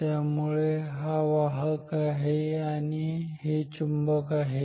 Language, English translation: Marathi, So, this is the conductor and this is the magnet ok